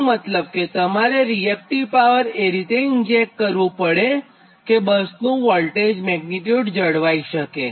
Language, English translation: Gujarati, that means at that bus you have to inject that reactive power such that you can maintain this voltage, magnitude v for that bus